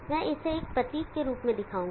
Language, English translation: Hindi, I will show it in this symbol form